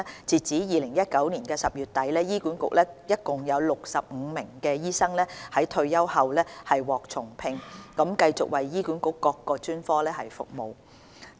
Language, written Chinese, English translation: Cantonese, 截至2019年10月底，醫管局內共有65名醫生在退休後獲重聘，繼續為醫管局各專科服務。, As at the end of October 2019 a total of 65 doctors have been rehired after retirement to continue their service in various HA specialties